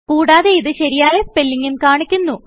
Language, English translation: Malayalam, It also displays the correct spelling